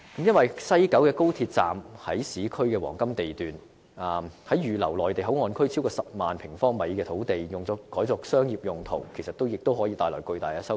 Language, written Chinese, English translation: Cantonese, 因為，西九高鐵站位於市區黃金地段，如果把預留作內地口岸區超過10萬平方米的土地，改作商業用途，也可以帶來巨大收益。, After all the West Kowloon Station of XRL is situated at a prime urban location . If that land site of 100 000 sq m reserved as a Mainland Port Area can be used for commercial purpose it can also bring huge profits